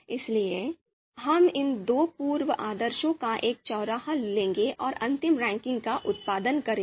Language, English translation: Hindi, Therefore, we will take a you know, will take intersection of these two pre orders and produce a final ranking